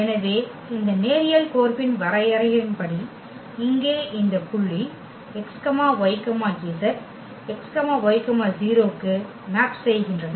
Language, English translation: Tamil, So, here as per the definition of this linear map, any point here x y z it maps to x y and 0